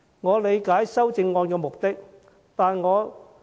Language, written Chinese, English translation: Cantonese, 我理解修正案的目的。, I understand the purpose of the amendments